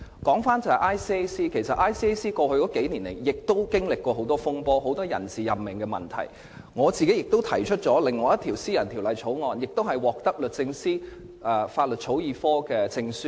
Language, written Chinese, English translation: Cantonese, 我想指出 ，ICAC 在過去數年亦曾經歷很多風波，有很多人事任命問題，我個人亦提出了另一項私人條例草案並獲得律政司法律草擬科的證書。, I would like to point out that ICAC itself has also been faced with many incidents and personnel issues over the past few years . I have actually drafted another Members bill and obtained a certificate from the Law Drafting Division of the Department of Justice